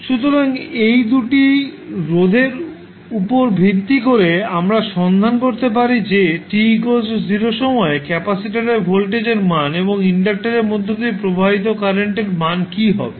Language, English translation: Bengali, So based on these 2 resistances we can find what will be the value of voltage across capacitor at time t is equal to 0 and what will be the value of current which is flowing through the inductor at time t is equal to 0